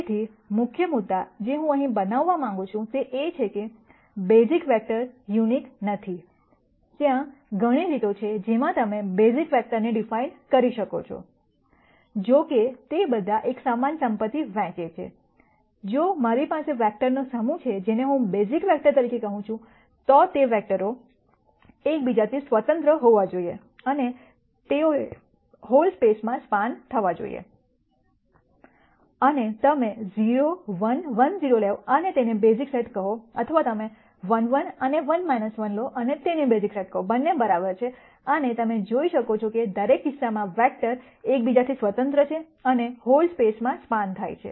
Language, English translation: Gujarati, So, the key point that I want to make here is that, the basis vectors are not unique there are many ways in which you can de ne the basis vectors; however, they all share the same property that, if I have a set of vectors which I call as a basis vector, those vectors have to be independent of each other and they should span the whole space and whether you to take 0 1 1 0 and call it a basis set or you take 1 1 and 1 minus 1 and call the basis set, both are all right and you can see that, in each case the vectors are independent of each other and they span the whole space